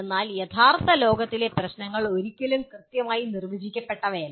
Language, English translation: Malayalam, But in real world problems are never that well defined